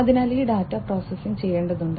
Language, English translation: Malayalam, So, this data will have to be processed